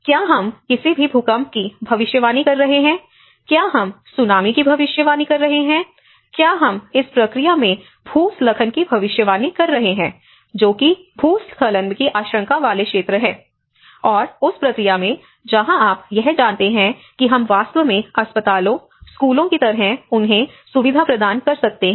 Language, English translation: Hindi, Are we predicting any earthquakes, are we predicting a Tsunami, are we predicting a landslide in this process, which are the areas which are landslide prone and in that process, where you can procure you know where we can actually facilitate them like hospitals, schools